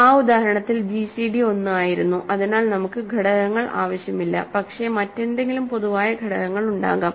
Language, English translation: Malayalam, In that example the gcd happened to be 1 itself, so we do not need to factor, but maybe there is a there is something else some common factor